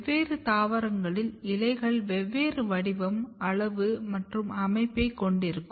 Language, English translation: Tamil, So, you can have different plants having a different shape, different size, different arrangements of the leaves